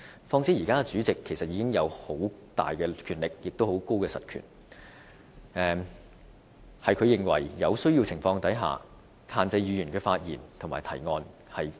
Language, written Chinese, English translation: Cantonese, 況且，現時主席已有很大的實權，他有權在他認為有需要的情況下限制議員的發言和提案。, Under the current rules the President already had tremendous power in hands as he can ban Members from speaking or proposing motions wherever he deems necessary